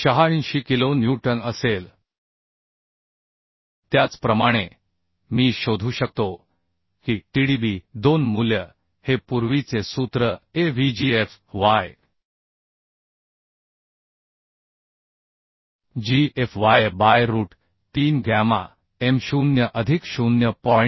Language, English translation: Marathi, 86 kilonewton Similarly I can find out Tdb2 value Tdb2 value will be this is earlier formula Avgfy by root 3 gamma m0 plus 0